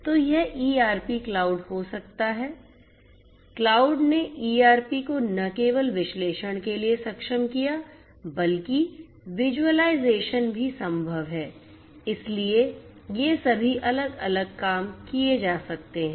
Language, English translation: Hindi, So, this could be ERP cloud, cloud enabled ERP not only just analysis, but also visualization is also possible so, all of these different things can be done